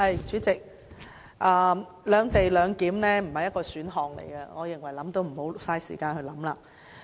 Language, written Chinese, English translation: Cantonese, 主席，"兩地兩檢"不是一種選項，我認為也不要浪費時間去想了。, President a separate - location model is not an option and let us not waste time thinking about it